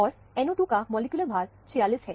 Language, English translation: Hindi, And, the NO 2 molecular weight is 46